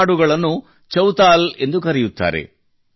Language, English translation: Kannada, These songs are called Chautal